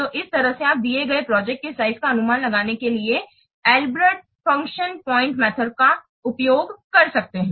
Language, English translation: Hindi, So in this way you can use Albreast function point method to find out the to estimate the size of a given project